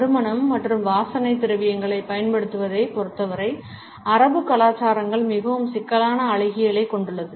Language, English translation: Tamil, Arabic cultures have a very complex aesthetics as far as the use of scents and perfumes is concerned